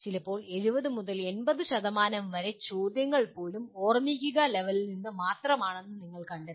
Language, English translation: Malayalam, And sometimes you will find even 70 to 80% of the questions belong merely to the Remember level